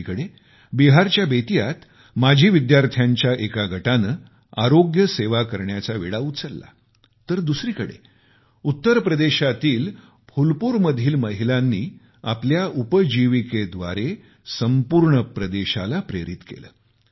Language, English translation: Marathi, On one hand, in Bettiah in Bihar, a group of alumni took up the task of health care delivery, on the other, some women of Phulpur in Uttar Pradesh have inspired the entire region with their tenacity